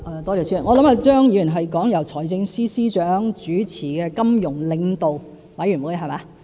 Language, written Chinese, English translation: Cantonese, 我想張議員是指由財政司司長主持的金融領導委員會。, I believe Mr CHEUNG is referring to the Financial Leaders Forum chaired by the Financial Secretary